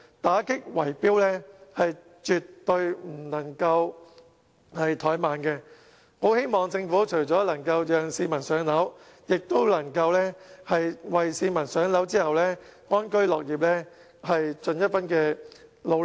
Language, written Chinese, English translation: Cantonese, 打擊圍標絕對不能怠慢，我希望政府除了讓市民"上樓"外，也能為市民"上樓"後安居樂業，盡一分努力。, There is no room for compromise in fighting against bid - rigging and I hope the Government can devote effort to improve the lives of those people with a property apart from helping those without to purchase one